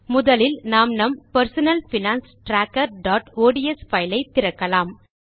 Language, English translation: Tamil, Let us open our Personal Finance Tracker.ods file first